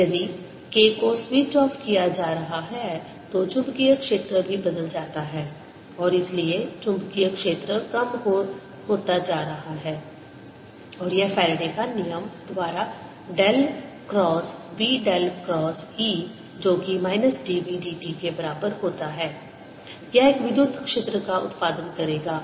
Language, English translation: Hindi, if k is being switched off, the magnetic field also changes and therefore the magnetic field is going down, is becoming smaller and it'll produce, by faradays law del cross, b del cross e equals minus d, b d t